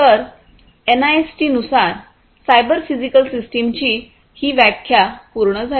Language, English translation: Marathi, So, that basically completes this definition of the cyber physical systems as per NIST